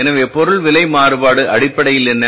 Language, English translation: Tamil, So material price variance is basically what